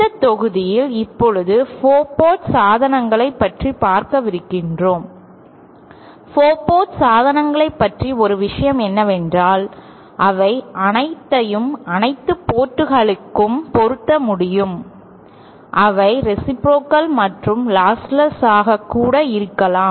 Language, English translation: Tamil, In this module we are going to cover 4 port devices, now one thing about 4 port devices is that they can all be matched at all ports, they can also be reciprocal and they can also be lost less